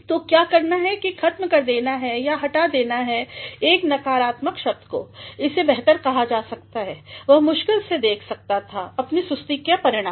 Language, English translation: Hindi, ’ So, what is to be done is to obliterate or to remove one negative word, it could better be said ‘He could hardly foresee the result of his lethargy